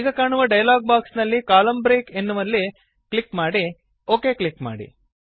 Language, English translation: Kannada, In the dialog box which appears, click on the Column break button and then click on the OK button